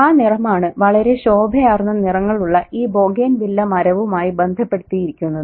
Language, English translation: Malayalam, So that color is associated with this Bougainville tree with really striking colors